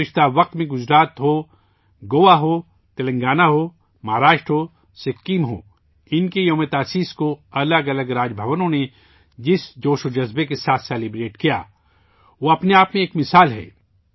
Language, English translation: Urdu, In the past, be it Gujarat, Goa, Telangana, Maharashtra, Sikkim, the enthusiasm with which different Raj Bhavans celebrated their foundation days is an example in itself